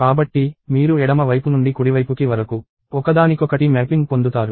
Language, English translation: Telugu, So, you get a one to one mapping from left side to the right side